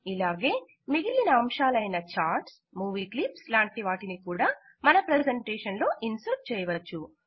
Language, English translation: Telugu, In a similar manner we can also insert other objects like charts and movie clips into our presentation